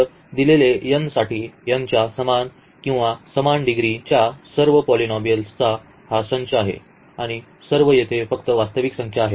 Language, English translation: Marathi, So, this is a set of all polynomials of degree less than or equal to n for given n and all these a’s here are just the real numbers